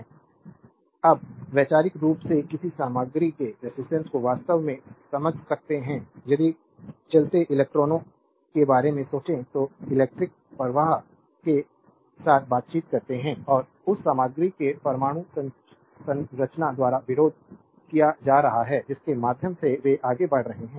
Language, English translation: Hindi, Now, conceptually we can understand the resistance actually of a material if we think about moving electrons that make up electric current interacting with and being resisted by the atomic structure of the material through which they are moving